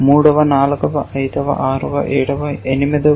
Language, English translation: Telugu, Third, fourth, fifth, sixth, seventh, eighth